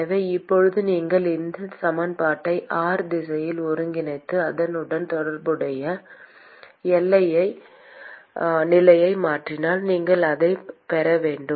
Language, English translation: Tamil, So now, if you integrate this equation in the r direction, and substitute the corresponding boundary condition, you should get that